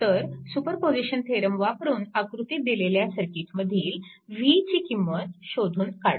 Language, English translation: Marathi, So, using superposition theorem determine v, in the circuit shown in figure this things right